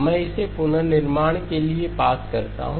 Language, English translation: Hindi, I pass it to the reconstruction